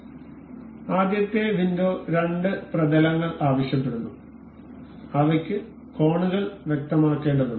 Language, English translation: Malayalam, So, the first window ask the two planes that are to be for which the angles are to be specified